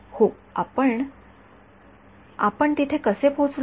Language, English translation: Marathi, Yeah, but how did we arrive there